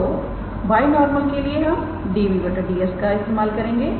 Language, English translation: Hindi, So, we for the binormal we use d b ds